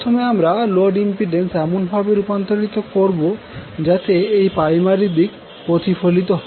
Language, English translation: Bengali, So, to simplify what we have to do first we have to convert that load impedance in such a way that it is reflected to the primary side